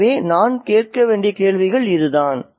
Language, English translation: Tamil, So, the questions that we need to ask is this